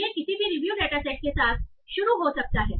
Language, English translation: Hindi, So I can start with any review datasets